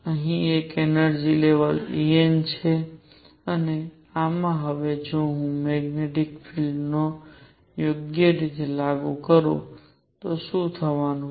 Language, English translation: Gujarati, Here is an energy level E n and in this now what is going to happen if I apply the magnetic field right